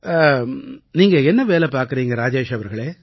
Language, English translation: Tamil, What do you do Rajesh ji